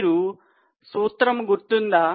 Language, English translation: Telugu, Do you remember the formula